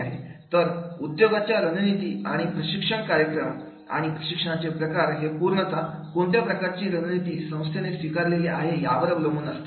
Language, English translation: Marathi, So, business strategies and designing the training programs and the type of training, they are totally depend on that is what type of the strategy you, the organization is going to adopt